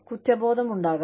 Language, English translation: Malayalam, There could be guilt